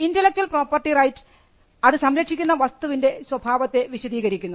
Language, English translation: Malayalam, Intellectual property rights are descriptive of the character of the things that it protects